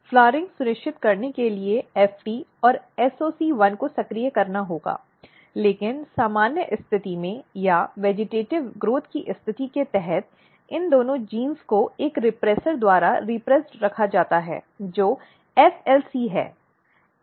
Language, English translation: Hindi, So, FT and SOC1 has to be activated, but under normal condition or under vegetative growth condition what happens that both of this genes are kept repressed by a repressor which is FLC